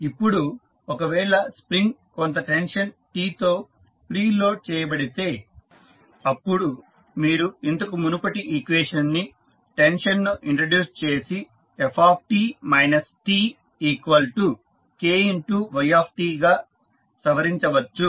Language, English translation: Telugu, Now, if the spring is preloaded with some tension T then you can modify the previous equation while introducing the tension T as f t minus T equal to K into y t